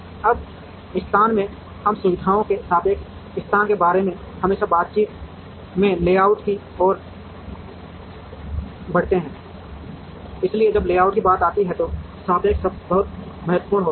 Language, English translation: Hindi, Now, from location, we move to layout in talks always about relative location of facilities, so the word relative is very important, when it comes to layout